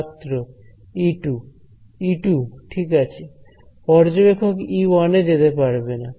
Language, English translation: Bengali, E 2 right E 1 the observer cannot cross over right